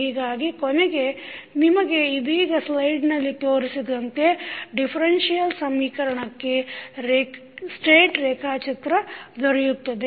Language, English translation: Kannada, So, finally you get the state diagram for the differential equation which we just shown in the slide